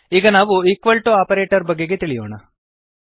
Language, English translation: Kannada, we now have the equal to operator